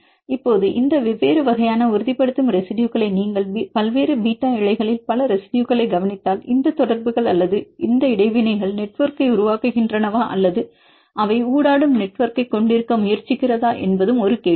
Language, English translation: Tamil, Now, if you look into these different types of stabilizing residues and the question is there are several residues in different beta sheets whether these contacts or these interactions are forming network or they try to have a network of interactions